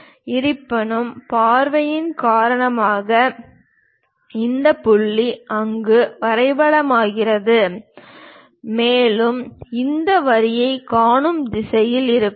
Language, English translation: Tamil, However, because of view, this point maps there and we will be in a position to see this line and also this one